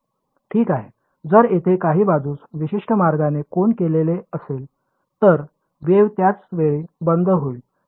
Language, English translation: Marathi, Right so, if there is some facet which is angled at a certain way the wave will go off at the same time